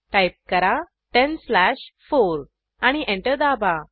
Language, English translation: Marathi, Type 10 slash 4 and press Enter